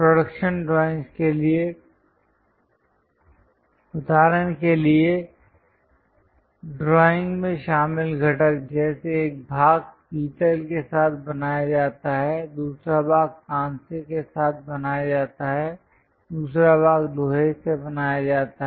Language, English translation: Hindi, For production drawings, the components involved in the drawing for example, like one part is made with brass, other part is made with bronze, other part is made with iron